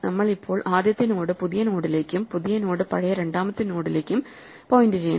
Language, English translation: Malayalam, We must now make the first node point to the new node and the new node point to the old second node